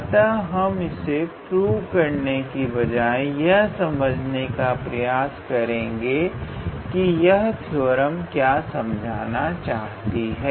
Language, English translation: Hindi, So, we will not get into the proof, but the flavor of this theorem, so what does it mean I will try to explain that